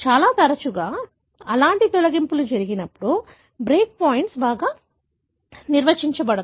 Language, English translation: Telugu, More often when such kind of deletions happen, the break points are well defined